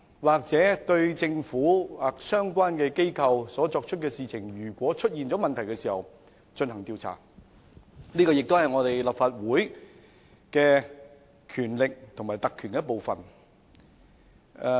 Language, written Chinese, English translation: Cantonese, 因政府或相關機構做的事情出現了問題而進行調查，是立法會的權力及特權的一部分。, The Legislative Council has the power and privilege to inquire into the problems associated with the actions taken by the Government or relevant organizations